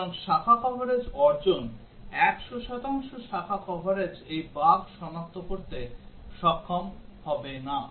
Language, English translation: Bengali, So achieving branch coverage, 100 percent branch coverage would not be able to detect this bug